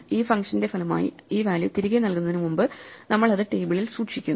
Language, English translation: Malayalam, So, before we return this value back as a result of this function, we store it in the table